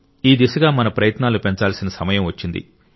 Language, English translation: Telugu, Now is the time to increase our efforts in this direction